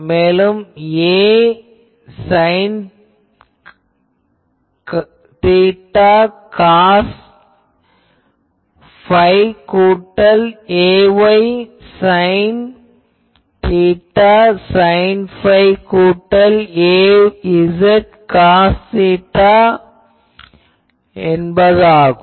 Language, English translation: Tamil, So, it will be a r Ar r theta phi plus a theta A theta r theta phi plus a phi A phi r theta phi